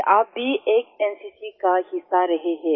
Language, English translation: Hindi, That you have also been a part of NCC